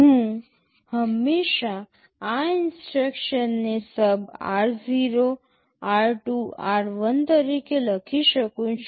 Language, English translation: Gujarati, I can always write this instruction as SUB r0, r2, r1